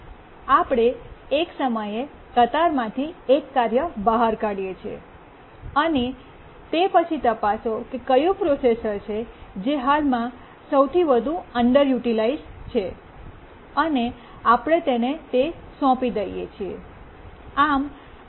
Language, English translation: Gujarati, We take out one task from the queue at a time and check which is the processor that is currently the most underutilized processor